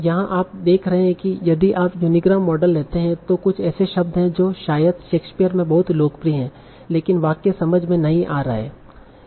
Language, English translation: Hindi, So here you are seeing if you take a unigramram model you are getting some words that are probably very popular in Shakespeare's but the sentence themselves are not making sense